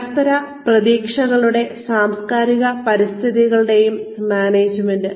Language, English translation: Malayalam, Management of interpersonal expectations and intercultural environments